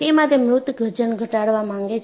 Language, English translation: Gujarati, So, they want to bring down the dead weight